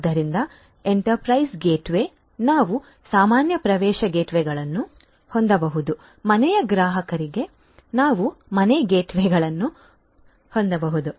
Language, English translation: Kannada, So, enterprise gateway; enterprise gateway, we can have normal access gateways, we can have home gateways for home customers and so on